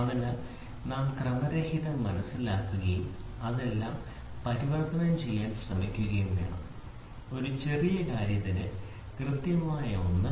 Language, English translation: Malayalam, So, we are supposed to understand the randomness and try to convert all this; the accurate one into precision for a smaller thing